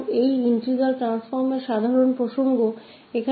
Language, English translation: Hindi, So, this is the general context of these integral transforms